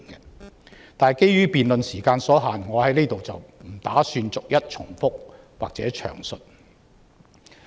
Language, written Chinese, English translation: Cantonese, 可是，基於辯論時間所限，我不打算在此逐一重複或詳述。, However given the time limit of the debate I do not intend to repeat and expound on them one by one here